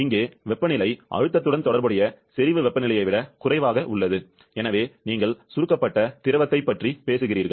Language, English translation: Tamil, This is of; here the temperature is lower than the saturation temperature corresponding to the pressure, so you are talking about compressed liquid